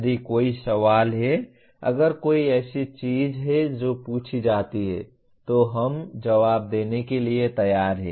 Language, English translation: Hindi, If there is a question, if there is something that is asked, we are willing to respond